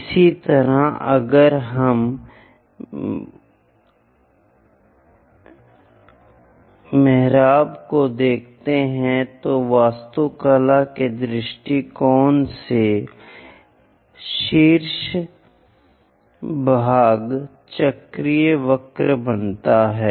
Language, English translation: Hindi, Similarly, if we are looking at arches, for architectural point of view, the top portions make cycloid curves